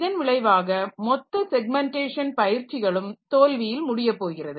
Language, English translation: Tamil, So, as a result this entire exercise of this segmentation and also that will that is going to fail